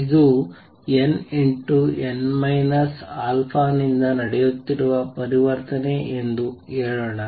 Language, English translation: Kannada, Let us say this is transition taking place from n n minus alpha